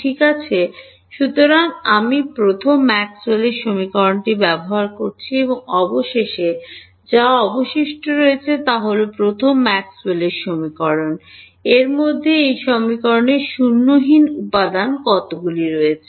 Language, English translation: Bengali, So, I have used the first Maxwell’s equation and finally, what is left is the first Maxwell’s equation; In that, how many components are there which are non zero in this equation